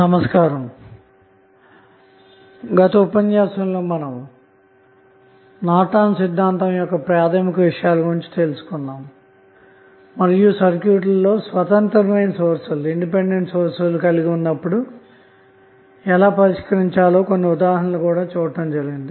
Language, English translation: Telugu, So, in the last class we discuss about the basics of Norton's theorem and we did some the examples with the help of the sources which were independent in those circuits